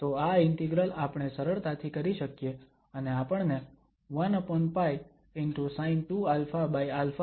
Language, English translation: Gujarati, So, we can easily perform this integral and we will get the value 1 over pi sin 2 alpha over alpha